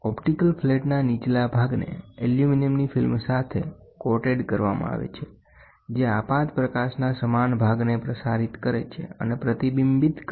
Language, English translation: Gujarati, The lower portion of the optical flat is coated with a film of aluminum which transmits and reflects equal portion of the incident light